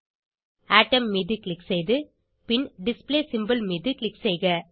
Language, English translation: Tamil, Click on Atom and then click on Display symbol